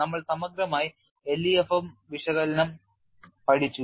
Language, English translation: Malayalam, We have learnt exhaustively LEFM analysis